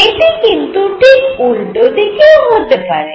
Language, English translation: Bengali, Not only that it could be in the opposite direction